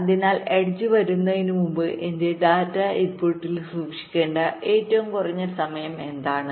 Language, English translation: Malayalam, so, before the edge comes, what is the minimum amount of time i must hold my data to the input